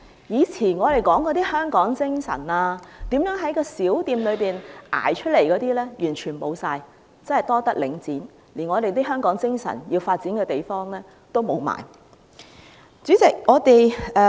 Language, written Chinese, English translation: Cantonese, 以前我們說的香港精神，如何在小店熬出頭的事全部消失，真是多得領展，連發揮香港精神的地方都消失了。, The spirit of Hong Kong we used to carry on our lips the stories of people fighting their way to success by running a small shop have all disappeared . Thanks to Link REIT even the place where the spirit of Hong Kong can be brought into play has also vanished